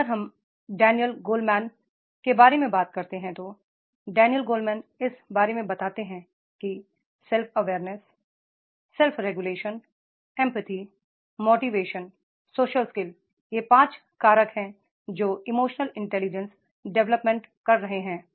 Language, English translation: Hindi, If we talk about the Daniel Goldman, then Daniel Goldman talks about that is the how that self awareness, self regulations, empathy, motivation and social skills, these are the five factors which are developing the emotional intelligence